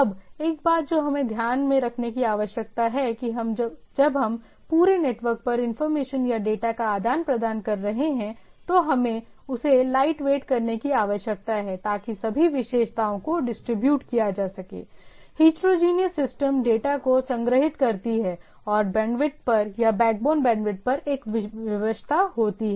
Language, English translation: Hindi, Now, one thing we need to keep in mind that in that when we are when we are exchanging information or data over across the across the network, it need to be light weight so that I can have, first of all the characteristics is distributed, I heterogeneous systems are storing the data and there is a constrained on the bandwidth or the at the backbone bandwidth